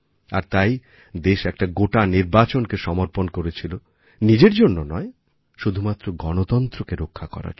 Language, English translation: Bengali, And precisely for that, the country sacrificed one full Election, not for her own sake, but for the sake of protecting democracy